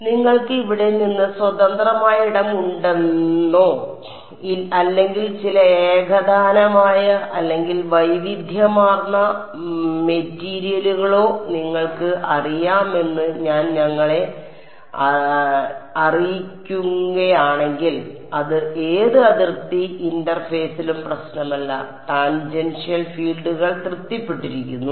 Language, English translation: Malayalam, So, if I have let us say you know free space from here or some homogenous or even heterogeneous material it does not matter at any boundary interface tangential fields are satisfied